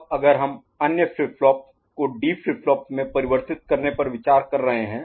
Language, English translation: Hindi, Now, if we are looking at converting other flip flop to D flip flop right